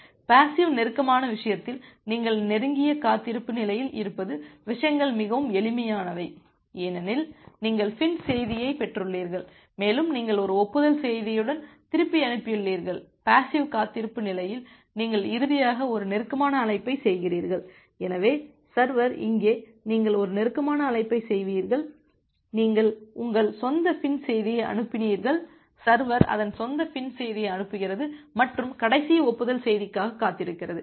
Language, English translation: Tamil, In case of passive close, things are pretty simple that you are in the close wait state because you have received the FIN message and you have send back with an acknowledgement message and in the passive wait state you finally make a close call, so the server here is making a close call here you sent your own FIN message, server is sending its own FIN message and waiting for the last acknowledgement message